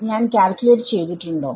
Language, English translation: Malayalam, Have we calculated everything